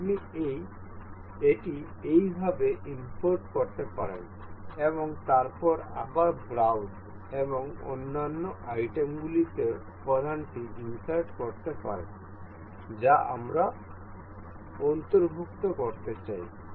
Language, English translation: Bengali, You can import it like this, and then again insert component in browse and other items that we intend to include